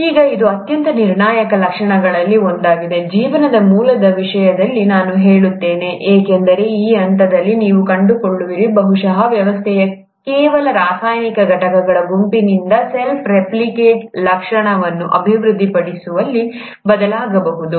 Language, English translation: Kannada, Now this is one of the most critical features, I would say, in terms of the origin of life, because it is at this stage you would find, that probably the system changed from just a set of chemical entities into developing a property where they could self replicate